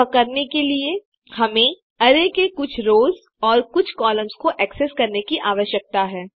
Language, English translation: Hindi, To do this, we need to access, a few of the rows and a few of the columns of the array